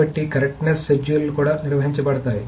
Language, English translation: Telugu, So the correctness of the schedules will also be maintained